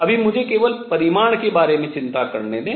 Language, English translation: Hindi, Right Now let me just worry about the magnitude